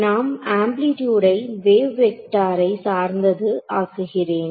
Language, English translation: Tamil, I have made the amplitude to be dependent on the wave vector does this work